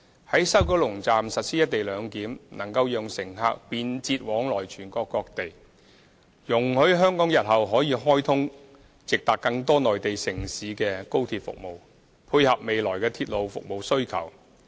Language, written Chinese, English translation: Cantonese, 在西九龍站實施"一地兩檢"，能夠讓乘客便捷往來全國各地，也容許香港日後可開通直達更多內地城市的高鐵服務，配合未來的鐵路服務需求。, Should co - location arrangement be implemented at the West Kowloon Station WKS it will enable passengers to travel to and from different destinations across the country conveniently and allow Hong Kong to provide direct high - speed rail service to an increasing number of Mainland cities in the days to come in order to cater for future demands for railway service